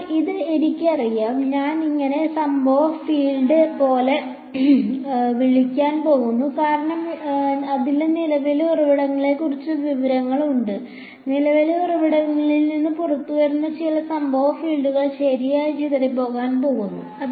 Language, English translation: Malayalam, So, this is known to me I am going to call this the it like the incident field because it has information about the current source, what comes out from a current source some incident field which is going to get scattered right